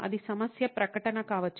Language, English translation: Telugu, That could be a problem statement